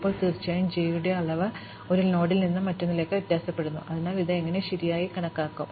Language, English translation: Malayalam, Now, the degree of j of course, varies from one node to another, so how do we count this correctly